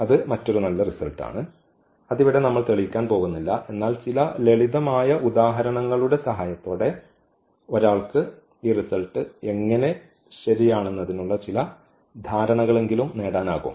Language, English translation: Malayalam, So, that is a another nice results we are not going to prove all these results, but one can with the help of some simple examples one can at least get some idea that how these results are true